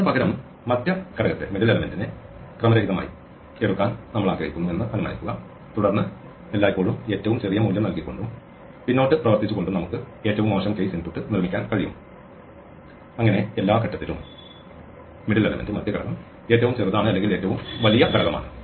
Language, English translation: Malayalam, Supposing, instead we wanted to choose the midpoint we take the middle element in the array as a random then again we can construct a worst case input by always putting the smallest value and working backward so that at every stage, the middle value is the smallest or largest value